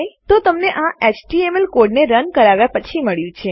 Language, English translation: Gujarati, So you have got that after running our html code